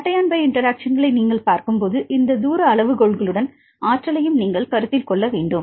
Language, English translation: Tamil, When you really see the cation pi interactions, you need to consider the energy along with these distance criteria